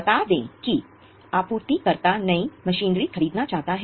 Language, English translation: Hindi, Let us say supplier wants to buy a new machinery